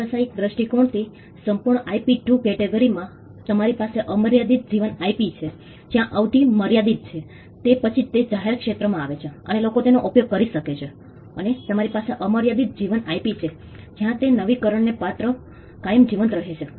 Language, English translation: Gujarati, The entire lot of IP into 2 categories from business perspective, you have the limited life IP where the duration is limited after which it falls into the public domain and people can use it and you have the unlimited life IP where is subject to renewal it can be kept alive forever